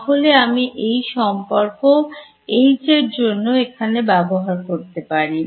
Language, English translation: Bengali, So, I can use this relation over here H is